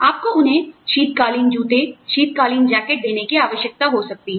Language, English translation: Hindi, You may need to give them, winter shoes, winter jackets